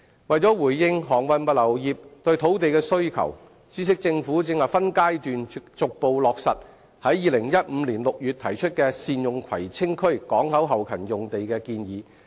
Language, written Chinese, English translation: Cantonese, 為回應航運物流業對土地的需求，政府正分階段逐步落實於2015年6月提出的善用葵青區港口後勤用地的建議。, In response to the demand for land made by the transportation services and logistics industry the Government is implementing in stages the proposal made in June 2015 to utilize the port back - up sites in Kwai Tsing